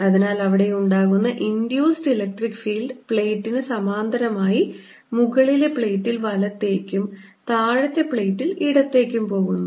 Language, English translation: Malayalam, electric field is going to be like parallel to the plate, going to the right on the upper plate and going to the left on the lower plate